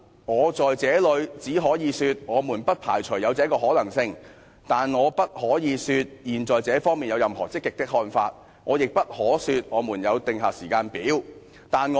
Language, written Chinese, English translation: Cantonese, 我只可以說，我們不排除有此可能性，但我不能說現在政府對於這方面有任何積極的看法，亦不能說政府為此訂出任何時間表。, I can only say that we do not rule out such a possibility . But I cannot say that the Government has arrived at any positive views in this respect nor can I say that the Government has already drawn up any timetable